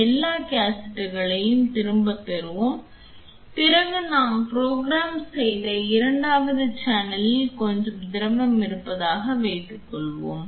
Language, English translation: Tamil, Let us have all the cassettes back and then assume I have some fluid in the second channel to which I have programmed